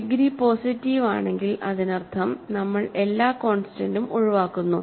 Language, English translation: Malayalam, If the degree is positive that means, we are excluding all constants